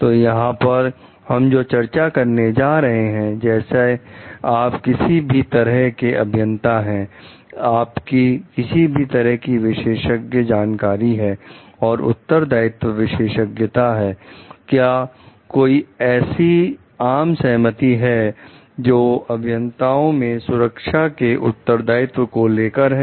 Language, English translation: Hindi, So, what we are going to discuss over here like given whatever kind of engineer you are, whatever be your specialized knowledge and responsibility expertise is, is there any consensus regarding the responsibility of safety amongst the engineers